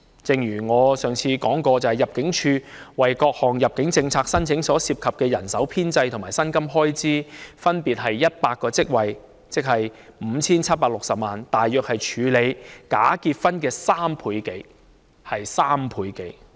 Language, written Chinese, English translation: Cantonese, 正如我上次說過，入境處為處理各項入境政策下的申請所需的人手和薪金開支，分別是100個職位及 5,760 萬元，即大約是處理假結婚的人手及開支的3倍多。, As I mentioned on the last occasion the manpower and the expenditure on salaries required by ImmD for handling applications under various immigration policies were 100 posts and 57.6 million respectively ie . roughly more than triple the manpower for and the expenditure on dealing with bogus marriages